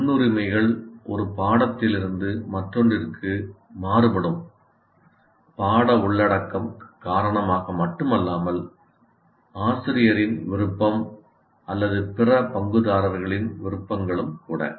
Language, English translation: Tamil, So the priorities, as you can see, vary from one course to the other not only because of the content, also because of the preference of the teacher or the other stakeholders' preferences